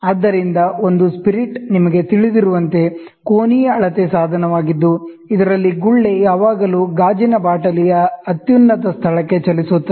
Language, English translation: Kannada, So, a spirit, as you are aware, is an angular measuring device in which the bubble always moves to the highest point of the glass vial